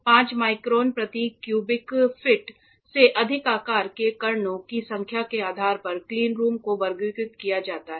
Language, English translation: Hindi, Cleanrooms are classified as based on the number of particles of size greater than 5 microns per cubic feet